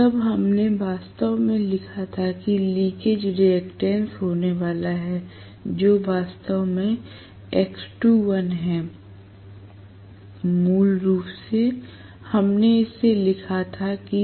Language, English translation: Hindi, Then we wrote actually that there is going to be a leakage reactance which is actually x2 dash, originally we wrote that as Sx2 dash